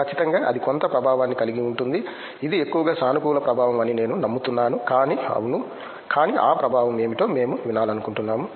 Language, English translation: Telugu, Definitely that will have a some influence I hope mostly is positive influence, but yes, but we would like to hear that what is that influence